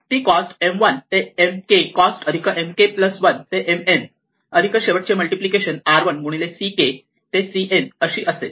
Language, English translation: Marathi, We have that the cost of M 1 splitting at k is a cost of M 1 to M k plus the cost of M k plus one to M n plus the last multiplication r 1 into c k to c n